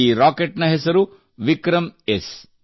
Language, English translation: Kannada, The name of this rocket is 'VikramS'